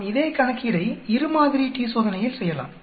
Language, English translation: Tamil, Let us do the same problem with two sample t Test